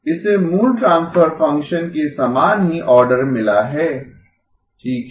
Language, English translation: Hindi, This one has got the same order as the original transfer function okay